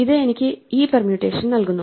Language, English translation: Malayalam, This gives me this permutation